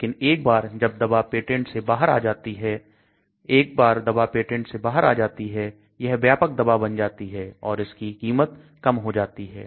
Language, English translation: Hindi, But once the drug comes out of the patent , once the drug comes out of the patent then it becomes a genetic drug then the cost comes down okay